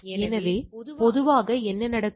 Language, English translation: Tamil, So, usually what happen